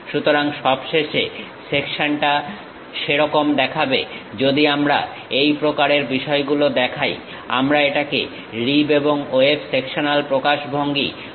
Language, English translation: Bengali, So, finally, the section looks like that; if we are showing such kind of things, we call rib and web sectional representations